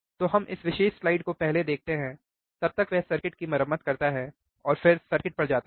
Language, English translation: Hindi, So, let us see this particular slide first, by the time he repairs the circuit and then we go on the circuit